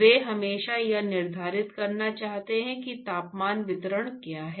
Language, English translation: Hindi, They want always quantify what is the temperature distribution